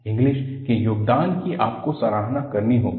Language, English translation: Hindi, The contribution of Inglis, you have to appreciate